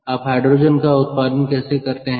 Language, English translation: Hindi, how do you produce hydrogen